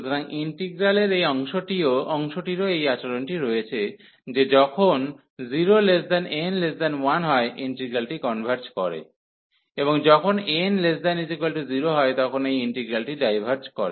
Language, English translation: Bengali, So, this part of the integral also have this behavior that when n is between 0 and 1, the integral converges; and when n is less than equal to 1, this integral diverges